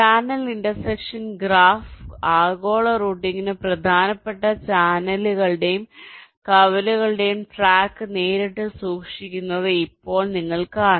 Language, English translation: Malayalam, right now, you see, the channel intersection graph directly keeps track of the channels and intersections, which is important for global routing